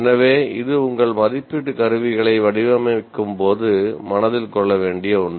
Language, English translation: Tamil, So, this is something that should be kept in mind while designing all your assessment instruments